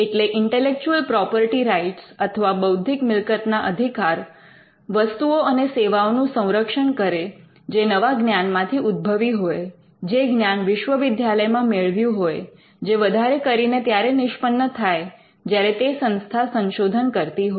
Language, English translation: Gujarati, So, intellectual property rights protect the products and services that emanates from new knowledge in a university, which you could predominantly find when the institute does research